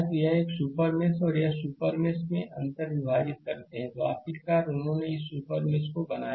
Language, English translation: Hindi, So, this super mesh and this super mesh they intersect, right, finally, they created the, this super mesh